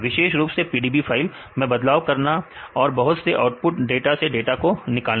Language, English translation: Hindi, Specifically on manipulating PDB files right and the extracting data from the many output data